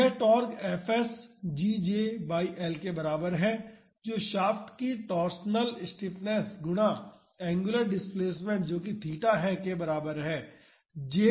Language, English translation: Hindi, So, the torque fs is equal to GJ by L that is the torsional stiffness of the shaft multiplied by the angular displacement that is theta